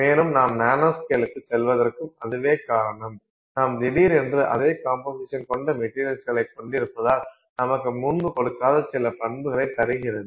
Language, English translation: Tamil, And that is the reason why when you go to the nanoscale you suddenly have exactly the same material in terms of composition, suddenly giving you properties that it did not previously give you